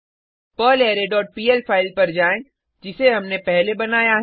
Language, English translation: Hindi, Go to the perlArray dot pl file, which we created earlier